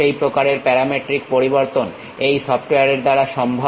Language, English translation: Bengali, That kind of parametric variation is possible by this software